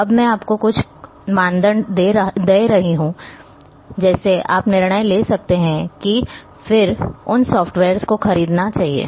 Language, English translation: Hindi, Now, I can give you some criteria on which one should judge and then buy or arrange those softwares